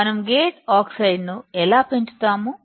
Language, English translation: Telugu, How can we grow gate oxide